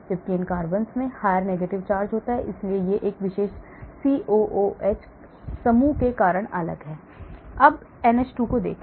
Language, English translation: Hindi, whereas these carbons have higher negative charge so it is different because of this particular COOH group here,